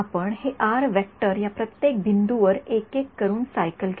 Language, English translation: Marathi, We made this r vector cycle over each one of these points one by one